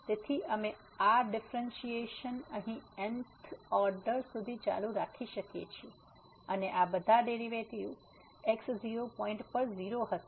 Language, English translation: Gujarati, So, we can continue this differentiation here up to the th order and all these derivatives at point will be 0